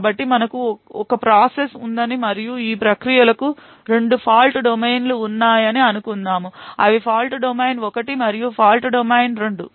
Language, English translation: Telugu, So let us say that we have a one process and these processes have has 2 fault domains, fault domain 1 and fault domain 2